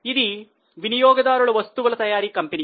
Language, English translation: Telugu, This is a consumer goods manufacturing company